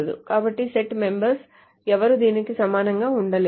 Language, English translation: Telugu, So none of the set members can be equal to this